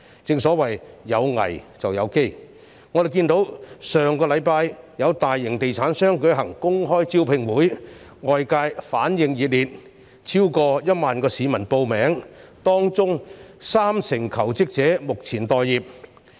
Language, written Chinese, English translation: Cantonese, 正所謂"有危便有機"，我們看到上星期有大型地產商舉行公開招聘會，外界反應熱烈，超過1萬名市民報名，當中近三成求職者目前待業。, As the saying goes in the midst of crisis lies opportunity . Last week we saw that an open job fair held by a major estate developer was well received by the public with over 10 000 people making registration and close to 30 % of the job seekers were waiting for job offers